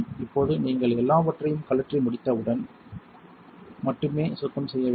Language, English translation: Tamil, Now you only want to clean when you are done spinning everything